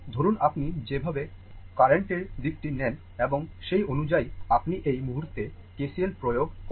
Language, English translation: Bengali, Suppose ah the way you take the direction of the current and accordingly you apply KCL at this point right